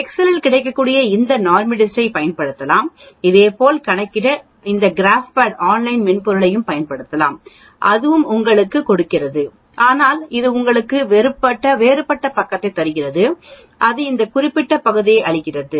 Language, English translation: Tamil, We can use this NORMSDIST that is available in excel to calculate similarly we can use this GraphPad online software and that also gives you but it gives you different side it gives this marked area